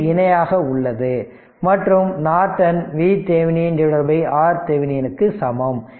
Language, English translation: Tamil, So, I told you i n is equal to V Thevenin by R thevenin